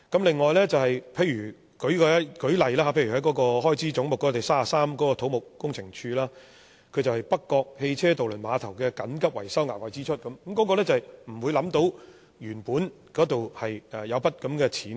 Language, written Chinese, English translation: Cantonese, 此外，舉例來說，就開支總目33土木工程拓展署而言，那是北角汽車渡輪碼頭的緊急維修額外支出，是原本想不到會有這筆開支的。, Take the expenditure Head 33 on Civil Engineering and Development Department as an example . The appropriation is for the urgent maintenance work of the North Point Vehicular Ferry Pier which is an unexpected expense